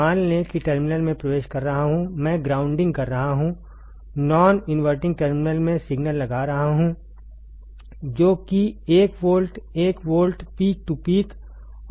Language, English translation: Hindi, Suppose inverting terminal I am grounding, non inverting terminal I am applying a signal which is that say 1 volt, 1 volt peak to peak, 1 volt peak to peak ok